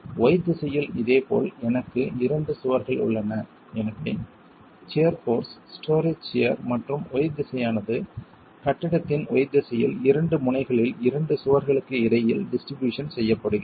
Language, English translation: Tamil, In the Y direction similarly I have two walls so the shear force, the story shear in the Y direction is then distributed between the two walls at the two extremities in the Y direction of the building itself